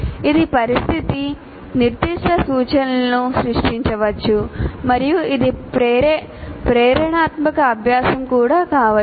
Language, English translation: Telugu, That is a situation specific instruction can be created and it can also be inspirational to learn